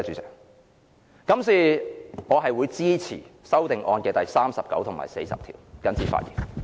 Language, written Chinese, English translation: Cantonese, 所以，我支持修正案編號39和40。, Therefore I support amendment numbers 39 and 40